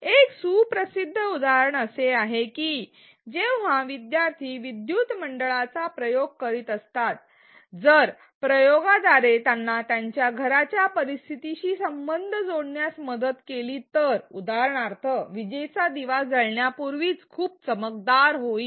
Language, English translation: Marathi, A well known example is that when learners are doing experiments with circuits, if the experiment helps them connect to a situation in their home where for example, a bulb becomes very bright just before it burns out